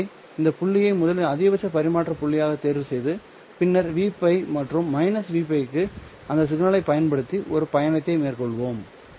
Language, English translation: Tamil, So let us choose first this point which is the maximum transmission point and then have an excursion all the way to v pi and minus v pi